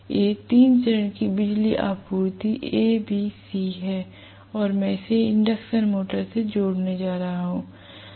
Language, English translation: Hindi, These are the three phase power supplies A B C and I am going to connect this to the induction motor